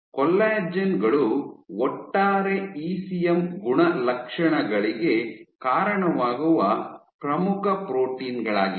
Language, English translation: Kannada, So, collagens are the major proteins which contribute to the overall ECM properties